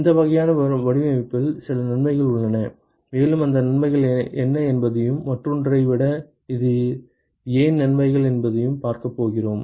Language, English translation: Tamil, And there are some advantages with this kind of design and we are going to see what those advantages are and why it is advantages over the other one